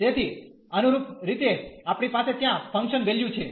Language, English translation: Gujarati, So, correspondingly we have the function values there